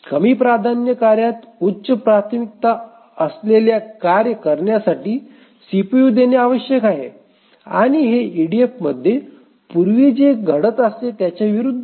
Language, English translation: Marathi, So, the lower priority task must yield the CPU to the highest priority task, to the higher priority tasks, and this is contrary to what used to happen in EDF